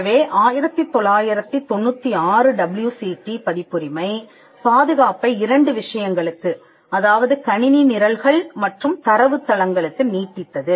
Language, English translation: Tamil, So, the 1996 WCT extended the protection of copyright to two subject matters computer programs and data bases